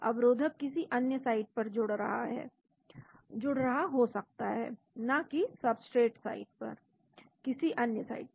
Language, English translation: Hindi, The inhibitor may be binding to some other site, not the substrate site some other site